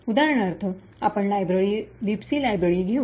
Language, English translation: Marathi, Let us take for example the library, the Libc library